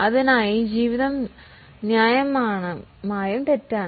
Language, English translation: Malayalam, For that, the life is reasonably wrong